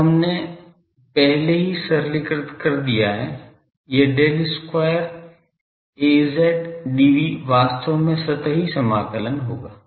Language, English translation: Hindi, Now, there we have already simplified these are Del square Az dv will be actually here surface integration